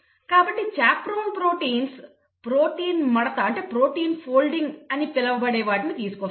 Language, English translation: Telugu, So, chaperone proteins bring about what is called as protein folding